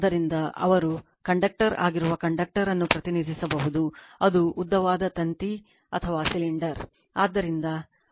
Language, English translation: Kannada, So, conductor they are conductor can be represented that is a long wire represented by cylinder right